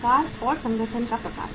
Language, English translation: Hindi, Size and type of the organization